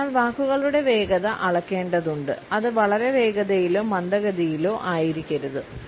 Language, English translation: Malayalam, So, the speed of the words has to be measured, it should neither be too fast nor too slow